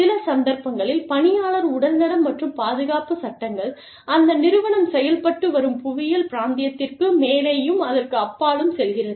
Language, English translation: Tamil, Employee health and safety laws, in some cases, are its go above and beyond the region, the physical region, geographical region, that the organization is operating in